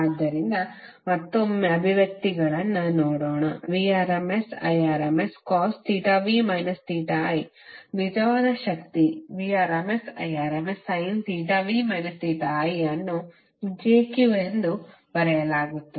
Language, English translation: Kannada, So let’s look at the expressions once again Vrms Irms cos theta v minus theta i would be the real power and jVrms Irms sine theta v minus theta i will be written as j cube